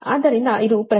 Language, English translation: Kannada, so this is the velocity of propagation